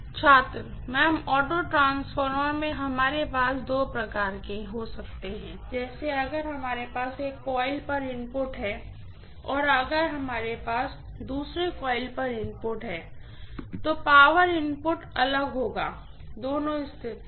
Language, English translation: Hindi, [Professor student conversation starts] Ma’am, in the auto transformer we can have two types of (())(34:03) like if we have input on one coil and if we have input on second coil, then the power input will be different in the two cases